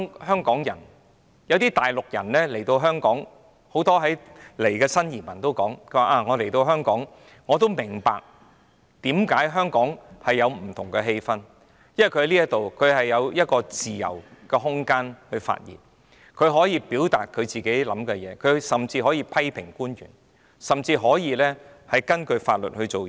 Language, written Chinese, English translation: Cantonese, 很多從大陸來港的新移民說，他們來到香港也感受到香港有不同的氣氛，因為在這裏有一個自由空間可發言，他們可以表達自己的意見，甚至可以批評官員，亦可以根據法律行事。, Many new arrivals from the Mainland say that in Hong Kong they can feel a different atmosphere because they can enjoy freedom of speech here to express their own views and even criticize public officers they can also act according to laws